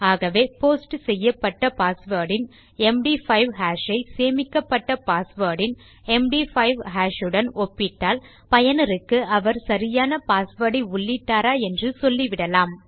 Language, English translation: Tamil, So if you take the MD5 hash of the posted password and compare that to the MD5 hash of the stored password, we can let our user know if theyve entered the correct or right password